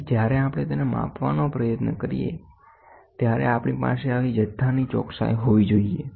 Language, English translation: Gujarati, So, when we try to measure it we should have such amount of precision things